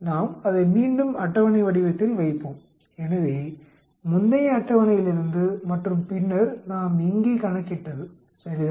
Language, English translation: Tamil, Let us put it once again in the table form, so from the previous table and then what we calculated here right